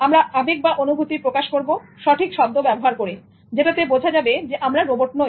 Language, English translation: Bengali, Emotions are to be expressed through appropriate words to indicate that you are not actually a robot